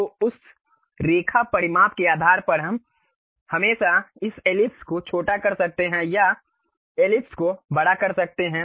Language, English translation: Hindi, So, based on that Line dimension we can always either shrink this ellipse or enlarge the ellipse